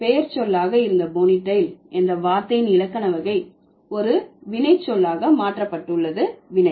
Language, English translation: Tamil, So, the grammatical category of the word ponital which used to be a noun, it has become changed to a verb